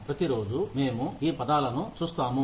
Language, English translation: Telugu, We come across these terms, every day